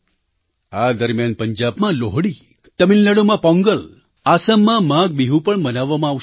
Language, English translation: Gujarati, During this time, we will see the celebration of Lohri in Punjab, Pongal in Tamil Nadu and Maagh Biihu in Assam